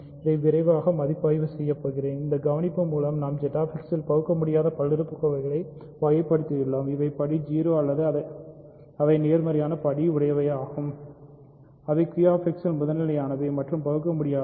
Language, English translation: Tamil, So, using this observation we have characterized irreducible polynomials in Z X they are either degree 0 in which case they are just prime integers or they are positive degree in which case they are primitive and irreducible in Q X